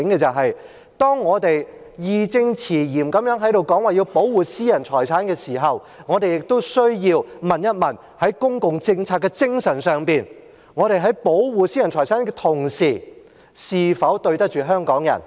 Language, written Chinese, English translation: Cantonese, 但是，當我們義正詞嚴地說要保護私人財產時，我們亦需要問問，在公共政策的精神上，我們在保護私人財產的同時，是否對得起香港人？, However when we make it unequivocally clear that private property has to be protected we also need to ask in terms of the spirit of public policy whether we are doing justice to Hong Kong people while protecting private property